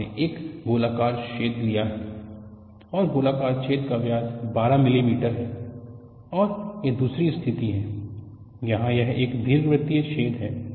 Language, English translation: Hindi, You have taken a circular hole, and the circular hole diameter is 12 millimeter, and this is another case where it is an elliptical hole